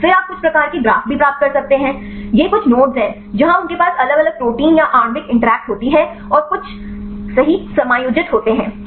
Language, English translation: Hindi, Then also you can get some type of graphs right this is some of the nodes, where they have the different protein or the molecular interact and some adjust right